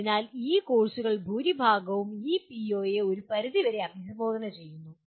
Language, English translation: Malayalam, So to that extent majority of these courses do address this PO to a certain extend